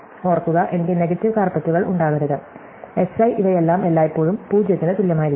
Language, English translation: Malayalam, Remember, I cannot have negative carpets, Si all those things must always be bigger than equal to 0